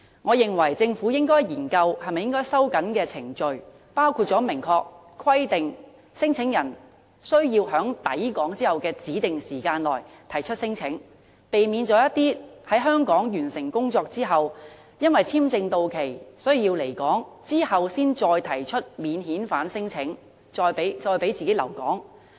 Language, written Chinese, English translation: Cantonese, 我認為政府應該研究是否收緊程序，包括明確規定聲請人須在抵港後的指定時間內提出聲請，避免一些來港工作人士，在簽證到期時才提出免遣返聲請，以求可以繼續留在香港。, I advise the Government to consider tightening the process which includes implementing such measures as stipulating a specified period for claimants to lodge claims after arriving Hong Kong so as to eliminate cases where incoming workers lodge non - refoulement claims only when their visas are about to expire so as to extend their stay in Hong Kong